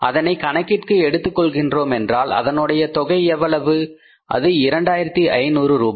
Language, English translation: Tamil, We have missed it out so it means we will have to add it up and how much is this this is 2,500 rupees